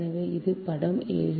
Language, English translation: Tamil, so this is figure seven